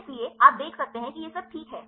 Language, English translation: Hindi, So, you can see this right